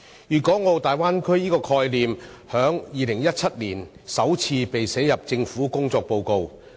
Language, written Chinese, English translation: Cantonese, 粵港澳大灣區這個概念，在2017年首次被寫入政府的工作報告。, The concept of Guangdong - Hong Kong - Macao Greater Bay Area first appeared in the government work report in 2017